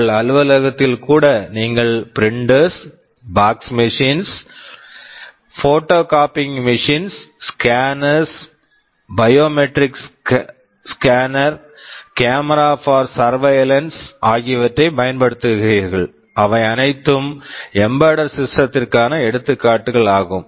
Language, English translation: Tamil, Even in your office you use printers and fax machines, photocopying machines, scanners, biometric scanner, cameras for surveillance, they are all examples of embedded systems